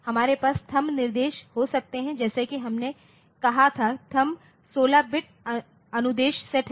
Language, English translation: Hindi, So, we can have THUMB instructions as we said that THUMB is 16 bit instruction set